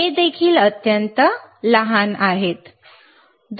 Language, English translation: Marathi, tThis is also extremely small